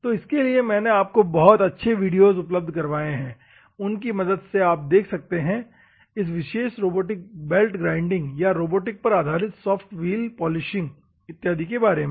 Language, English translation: Hindi, So, you have to see for that purpose we have provided you with good videos so that you can understand how this particular robotic belt grinding or robotic based soft wheel polishing and all those things